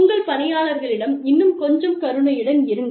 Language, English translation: Tamil, Be a little more compassionate, towards your employees